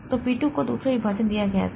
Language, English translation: Hindi, So, then P3 came P3 is given the third partition